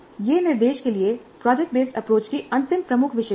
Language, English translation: Hindi, This is the last key feature of the project based approach to instruction